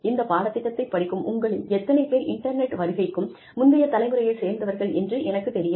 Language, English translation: Tamil, I do not know, how many of you are, who are taking this course, are from pre internet generation